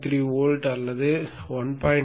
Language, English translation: Tamil, 3 volts or 1